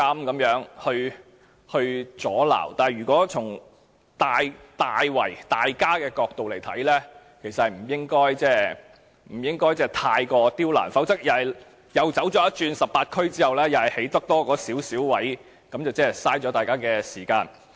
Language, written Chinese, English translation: Cantonese, 但是，無論是哪個政黨，如果從大眾的角度來看，其實也不應過於刁難，否則當局諮詢18區後，只能興建少許龕位，那便浪費了大家的時間。, However if we consider the matter from the perspective of public interests no political party should create too many obstacles for the Government otherwise if only a small number of niches can be developed after consulting the 18 DCs it will be a waste of time for everyone